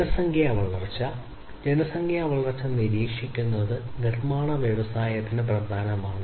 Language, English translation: Malayalam, So, population growth: monitoring population growth is important for manufacturing industry